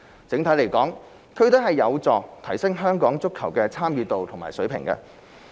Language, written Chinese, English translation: Cantonese, 整體而言，區隊有助提升香港足球的參與度和水平。, In general district teams help improve the standard of play of and participation in football in Hong Kong